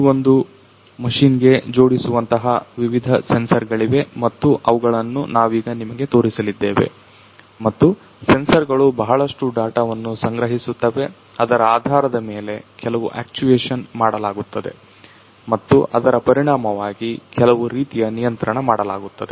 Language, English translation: Kannada, So, we have different sensors that are equipped with this particular machine that we are going to show you now and then these sensors they collect lot of data and based on that there is some actuation that is performed and also consequently some kind of control